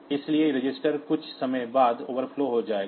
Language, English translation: Hindi, So, this register will overflow after some time